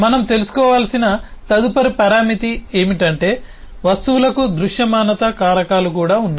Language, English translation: Telugu, the next parameter that we need to know is that the objects also has visibility factors